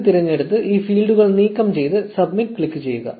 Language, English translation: Malayalam, 0 from the drop down remove these fields and click submit